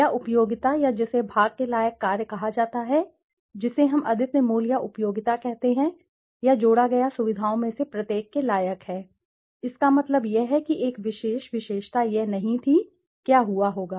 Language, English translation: Hindi, Or utility or which is termed the part worth functions which we say as unique value or utility or part worth function each of the features added; that means a particular feature had it be not there, what would have happened